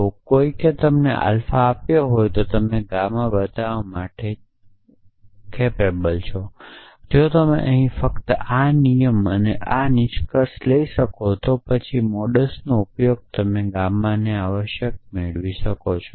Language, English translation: Gujarati, If somebody have given you alpha and asked you to show gamma then you can just take this rule here and this conclusion here and then use modus ponens can derive gamma essentially